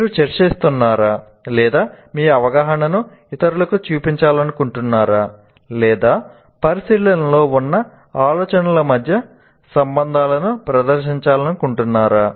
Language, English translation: Telugu, Are you discussing or are you trying to, you want to show your understanding to others, or the teacher wants to present the relationships between the ideas that are under consideration